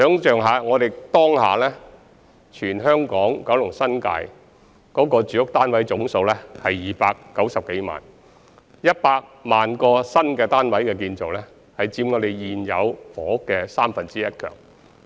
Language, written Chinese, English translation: Cantonese, 大家可以想象一下，當下香港島、九龍、新界的住屋單位總數是290多萬個 ，100 萬個新建單位之數已高達現有房屋總數的三分之一。, Let us imagine the total stock of housing flats now in the Hong Kong Island Kowloon and the New Territories is 2.9 million odd units and the 1 million additional flats to be produced will be equal to one third of the total stock of existing residential units